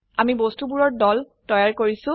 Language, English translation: Assamese, We have created groups of objects